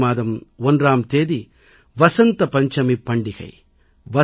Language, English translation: Tamil, 1st February is the festival of Vasant Panchami